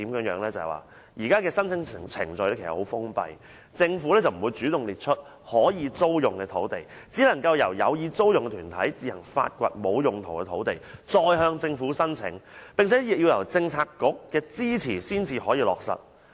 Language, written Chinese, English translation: Cantonese, 現時的申請程序十分封閉，政府不會主動列出可以租用的土地，只能夠由有意租用的團體自行發掘沒有用途的土地，再向政府申請，並且要得到政策局的支持才可以落實。, The current application procedure is very passive . The Government will not proactively list vacant government sites available for lease . Interested organizations will have to find out these sites by themselves and then initiate an application with the Government provided that their applications have the support of the related Policy Bureau